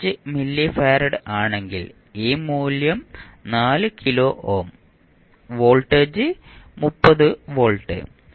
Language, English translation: Malayalam, 5 milli farad then this value is 4 kilo ohm and voltage is plus minus that is 30 volts